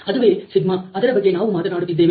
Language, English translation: Kannada, So, that is the σ that we are talking about